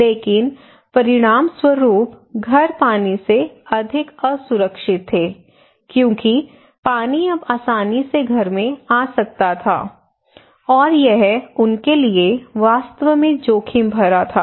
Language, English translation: Hindi, But as a result what happened they can see that it makes the houses more vulnerable water can easily come to house and it is really risky for them